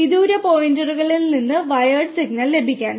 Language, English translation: Malayalam, To get the wired signal from far off points